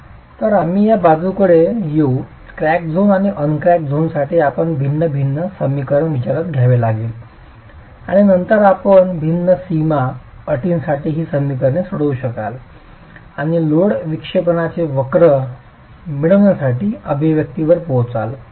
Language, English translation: Marathi, You will have to have, you will have to consider a different differential equation for the crack zone and the uncracked zone and then you could solve these equations for different boundary conditions and arrive at an expression to get your load deflection curves